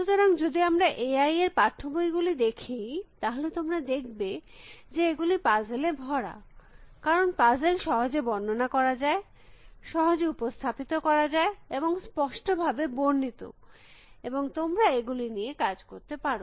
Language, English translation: Bengali, So, if we look at the A I text books, you will find that they are sort of sprinkle with puzzles, because puzzles are easy to describe, easy to represent, well defined and you know, you can do work with them